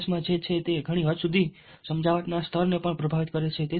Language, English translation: Gujarati, what is there in the message to a very great extent significantly influences what is the level of persuasion as well